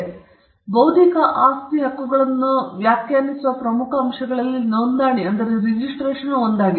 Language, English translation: Kannada, So, registration is one of the key elements by which we can define intellectual property rights